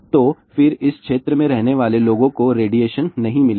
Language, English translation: Hindi, So, then the people living in this particular area will not get the radiation